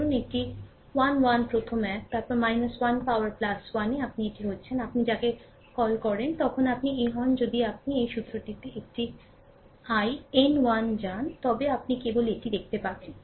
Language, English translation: Bengali, Suppose a 1 1 first one, then minus 1 to the power n plus 1 that is this thing you are, what you call then you are ah this if you go to this formula a n m, n 1 just ah just you just you see this one